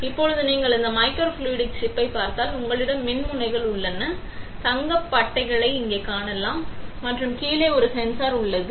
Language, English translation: Tamil, Now if you look at this microfluidic chip, you have the electrodes, you can see gold pads here right; and there is a sensor at the bottom